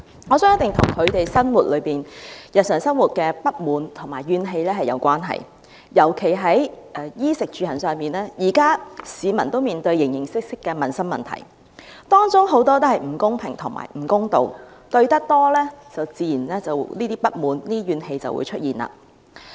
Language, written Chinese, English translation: Cantonese, 我相信一定與他們日常生活中的不滿和怨氣有關，尤其是在衣食住行方面，現時市民都面對形形色色的民生問題，當中很多都是不公平和不公道，面對多了，自然便會出現不滿和怨氣。, I believe it must be related to the discontent and resentment in their daily life . At present members of the public face an array of livelihood problems especially in such aspects as food clothing housing and transport and many of them involve unfairness and injustice . When they encounter such problems frequently discontent and resentment will naturally arise